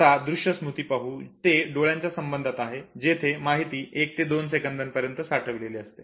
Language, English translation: Marathi, Now, iconic memory that has to do with the eyes can hold information for up to 1 to 2 seconds